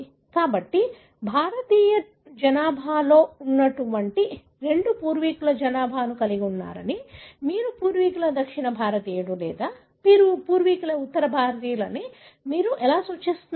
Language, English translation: Telugu, So, how do you really come up with such kind of suggestions that the Indian population had such two ancestral population, what you call as ancestral South Indian or ancestral North Indian